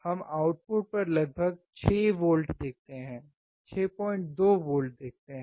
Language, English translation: Hindi, We see about 6 volts 6